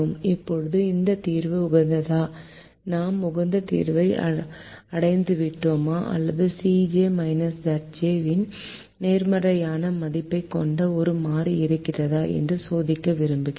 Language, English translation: Tamil, now we need to check whether this solution are optimal or whether there is a variable that can enter the solution with the positive c j minus z j